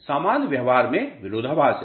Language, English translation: Hindi, In normal practice there is a there is a paradox